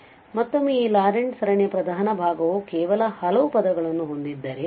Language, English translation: Kannada, So, again if the principal part of this Laurent series has only finitely many term